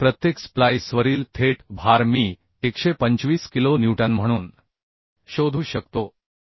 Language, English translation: Marathi, So direct load on each splice I can find out as under 25 kilo Newton